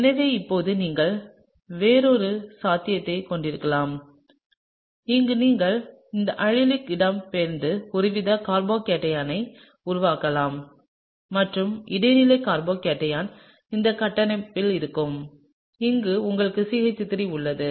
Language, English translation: Tamil, So now, it’s possible that you can have a another possibility, where you can have this allylic migrating and producing some sort of a carbocation and that the intermediate carbocation would be of this structure, you have CH3